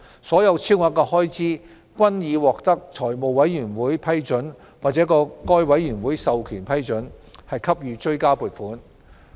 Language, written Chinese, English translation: Cantonese, 所有超額開支均已獲得財務委員會批准或該委員會授權批准，給予追加撥款。, Supplementary provision for all such excess expenditure was approved by the Finance Committee or under powers delegated by the Committee